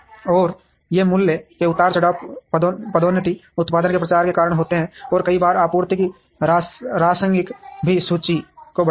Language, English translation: Hindi, And these price fluctuations happen, because of promotion, product promotions, and there are times the rationing of supply also increases the inventory